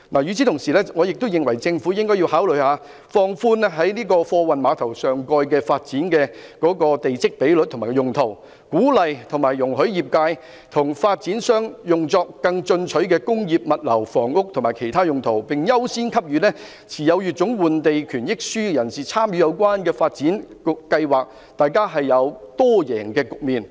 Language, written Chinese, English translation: Cantonese, 與此同時，我認為政府應考慮放寬在貨運碼頭上蓋發展的地積比率和用途，鼓勵和容許業界和發展商作更進取的工業、物流、房屋及其他用途，並優先給予持有乙種換地權益書的人士參與有關的發展計劃，造成多贏的局面。, At the same time I think the Government should consider relaxing the requirements on plot ratio and land use for the superstructure of cargo handling quays encouraging and allowing the trades and developers to use the site for more ambitious industrial logistic and housing development as well as other purposes . The Government should also give priority to holders of Letter B in participating in those development plans and thus creating a multi - win situation